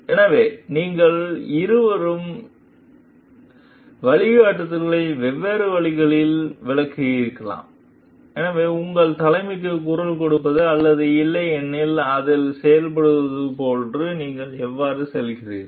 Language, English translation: Tamil, So, and you have like maybe both of you have interpreted the guidelines in different way, so how do you go about like voicing your concern or otherwise acting on it